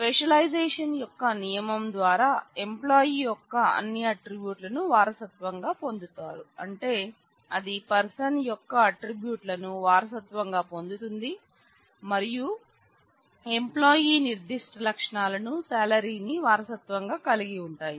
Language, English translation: Telugu, Again by the rule of specialization instructor will inherit all attributes of employee which means that it will inherit attributes of person; which imply has inherited plus the employee specific attributes salary